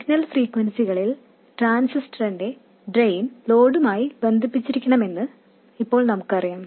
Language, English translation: Malayalam, Now we know that the drain of the transistor must be connected to the load for signal frequencies